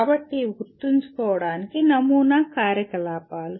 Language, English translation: Telugu, So these are the sample activities for remember